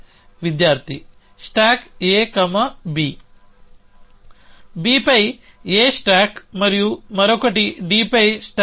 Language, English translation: Telugu, Student: Stack A, B Stack A on B and one more is stack B on D